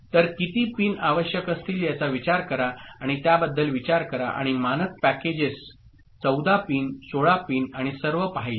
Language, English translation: Marathi, So, you can consider, you can think of how many you know pins will be required and standard packages you have seen 14 pin, 16 pin and all